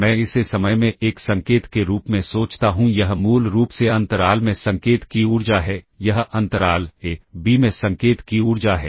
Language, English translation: Hindi, If I think of this as a signal in time, this is basically the energy of the signal in interval, this is the energy of the signal in the interval a comma b